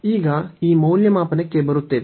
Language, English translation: Kannada, Now, coming to the evaluation